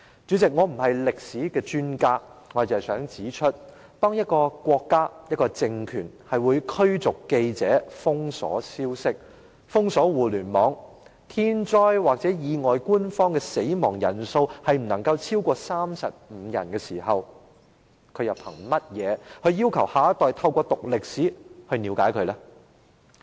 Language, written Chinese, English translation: Cantonese, 主席，我不是歷史專家，我只想指出，當一個國家或一個政權會驅逐記者、封鎖消息和互聯網，當發生天災或意外的時候，官方公布的死亡人數不能超過35人，它憑甚麼要求下一代透過修讀歷史了解國家？, President I am not a history expert and I just wish to point out when a country or regime expels journalists blockades information and the Internet and limits the official number of causalities in natural disasters or accidents to be below 35 how can it ask the next generation to understand the country through studying history?